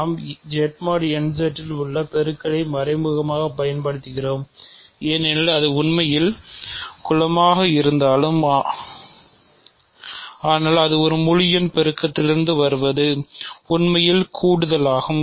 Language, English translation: Tamil, So, we are implicitly using the multiplication in Z mod n Z right because though its actually group, but because its coming from integers multiplication is actually just addition